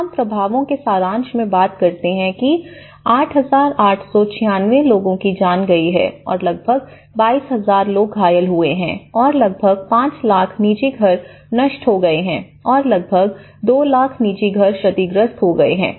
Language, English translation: Hindi, The summary of the impacts is we talk about the 8,896 lives have been lost and almost 22,000 people have been injured and about nearly 5 lakhs private houses have been destroyed and about two lakhs private houses have been damaged